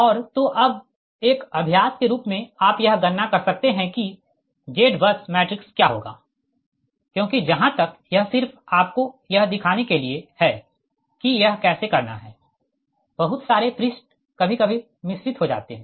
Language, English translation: Hindi, as an exercise, you can compute what will be the z bus matrix, because as far as this is just to show you that how to do it right, that lot of pages are there sometimes getting mixed up